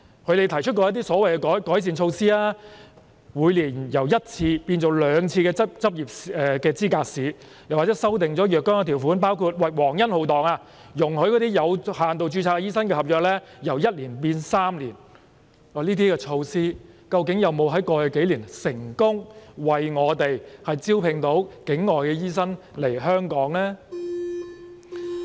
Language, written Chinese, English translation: Cantonese, 他們曾提出一些所謂改善措施，例如執業資格試由每年舉行一次改為兩次，以及修訂了若干條款，包括皇恩浩蕩地容許有限度註冊醫生的合約期由1年延長至3年，但在過去數年，這些措施究竟有否為我們成功招聘境外醫生來港呢？, They have proposed some so - called improvement measures such as increasing the frequency of the Licensing Examination from once to twice a year and introducing amendments to certain provisions which included allowing the contract period of doctors practising under limited registration to be extended from one year to three years as if a heavenly grace is granted . But over the past few years have these measures successfully recruited non - local doctors to Hong Kong? . Members can take a look at the relevant figures available now